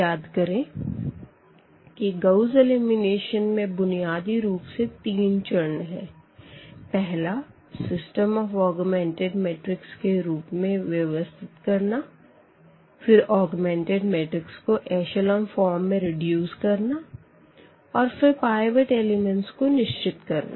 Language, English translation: Hindi, So, if you remember there this Gauss elimination was basically having three steps – the first one putting your system into this augmented matrix then reducing the augmented matrix exactly into this echelon form which we call and then we need to identify these pivot elements